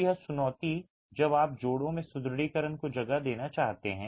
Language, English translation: Hindi, So, that's a challenge when you want to place reinforcement in the joints